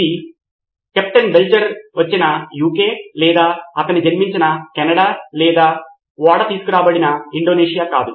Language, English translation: Telugu, It was not the UK where Captain Belcher was from or Canada where he was born or Indonesia where the ship was taken